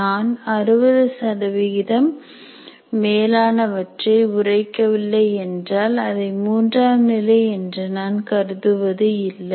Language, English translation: Tamil, I say unless it is greater than 60% I do not consider it is level 3